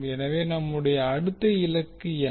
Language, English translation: Tamil, So the next task what we have to do